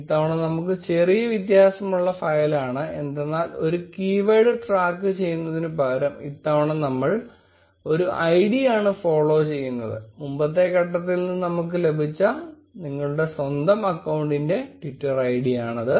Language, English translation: Malayalam, We have a slightly different file this time with only one change instead of tracking a keyword, we are following an id; this is your own account's Twitter id which we got from the previous step